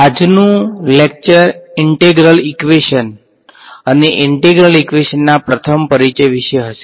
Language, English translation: Gujarati, Today’s lecture is going to be about Integral Equations and your very first Introduction to an Integral Equation